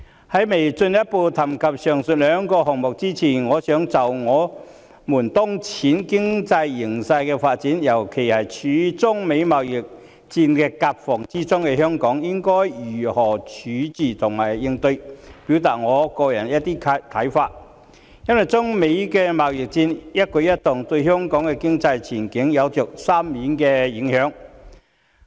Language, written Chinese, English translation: Cantonese, 在進一步談及上述兩個項目前，我想就我們當前的經濟形勢發展，尤其是處於中美貿易戰的夾縫中的香港應該如何自處和應對，表達我個人的一些看法，因為中美貿易戰的一舉一動，對香港的經濟前景有着深遠的影響。, Before I speak further on these two projects I wish to express some of my personal views on the current development of the economic conditions and in particular what Hong Kong should do and react when being caught in the middle of the trade war between China and the United States because every manoeuvre of the United States - China trade war will have a far - reaching impact on the economic prospects of Hong Kong